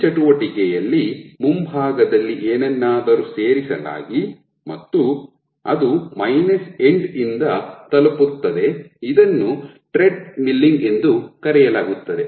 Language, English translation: Kannada, So, this activity this thing in which something is added as the frontend and gets reached from the minus end this is called treadmilling